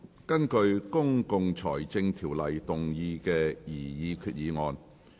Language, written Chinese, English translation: Cantonese, 根據《公共財政條例》動議的擬議決議案。, Proposed resolution under the Public Finance Ordinance